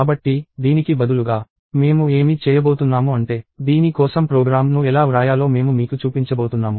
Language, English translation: Telugu, So, instead, what I am going to do is I am going to show you how to write a program for this